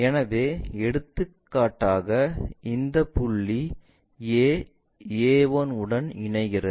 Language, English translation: Tamil, So, for example, this point A, goes connects to this A 1